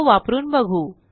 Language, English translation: Marathi, Let us use it now